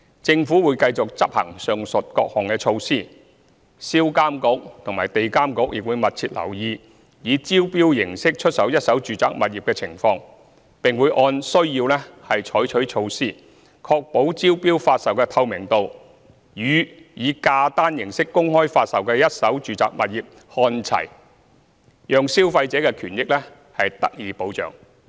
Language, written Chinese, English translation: Cantonese, 政府會繼續執行上述各項措施，銷監局及地監局亦會密切留意以招標形式出售一手住宅物業的情況，並會按需要採取措施，確保招標發售的透明度與以價單形式公開發售的一手住宅物業看齊，讓消費者的權益得到保障。, The Government will continue to implement the above measures . SRPA and EAA will monitor closely the sales of first - hand residential properties by tender and take necessary measures to ensure that the level of transparency of the sales of first - hand residential properties by tender is the same as that for open sales with price lists with a view to safeguarding consumer interests